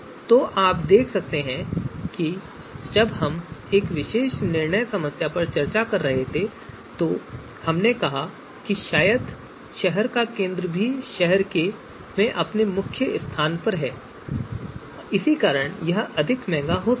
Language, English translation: Hindi, So you see when we were discussing this particular decision problem we said that probably City Centre is also going to be you know more expensive because of the prime location of the city and all that